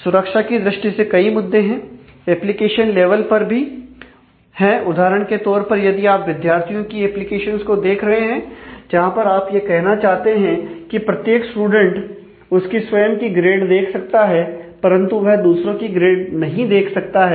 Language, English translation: Hindi, There are issues in terms of security, in terms of the application level also, for example, if you if you are looking at a at a student application where, you want to say that the student, every student can see his or her own grade, but they should not be able to see the grade of others